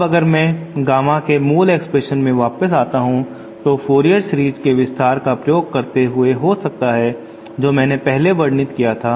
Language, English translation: Hindi, Now if I come back to the original expression for Gamma in, now this using the Fourier series expansion that I had described earlier can be given like this